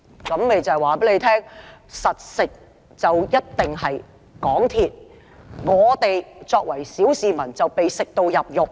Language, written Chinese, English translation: Cantonese, "這便是告訴大家，穩賺的一定是港鐵公司；我們作為小市民，只會被"食到入肉"。, Precisely this tells us that it is MTRCL who will surely make a profit and we as ordinary members of the public will only end up out of pocket